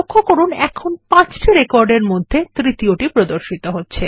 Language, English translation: Bengali, Notice that the record number 3 of 5 is displayed here